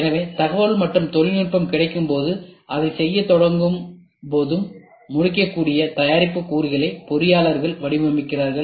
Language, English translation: Tamil, So, engineers design components of the products that can be completed as information and technology becomes available as and when you start doing it